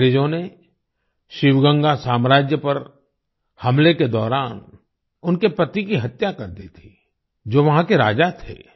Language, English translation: Hindi, Her husband, was killed by the British during their attack on the Sivagangai kingdom, who was the king there